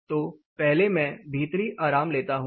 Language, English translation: Hindi, So, first I will take comfort indoor